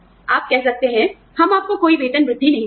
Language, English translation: Hindi, You can say, we are not going to give you, any increments